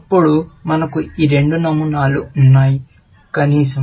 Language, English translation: Telugu, Then, we have these two patterns, at least